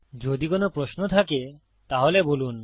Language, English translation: Bengali, If you have any questions, please let me know